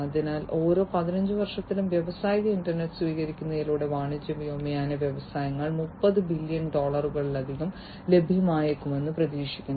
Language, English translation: Malayalam, So, in every 15 years it is expected that the commercial aviation industries through the adoption of industrial internet, we will save over 30 billion dollars